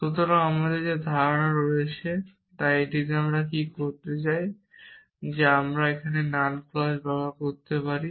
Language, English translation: Bengali, So, we has this clauses and we want to what is it we want to show that can we derive the null clause from this